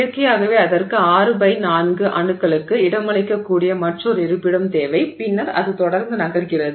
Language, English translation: Tamil, So, naturally it needs another location which can accommodate six atoms by four atoms and then that's how it keeps moving